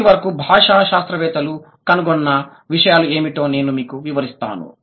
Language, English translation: Telugu, I'll just give you what are the findings that the linguists have come about so far